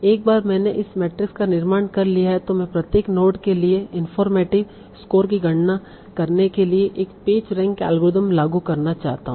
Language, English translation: Hindi, Now once I have this constructed this matrix I want to apply a page ring kind of algorithm to compute the informative score for each node